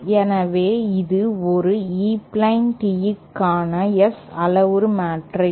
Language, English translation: Tamil, So, this is the S parameter matrix for an E plane tee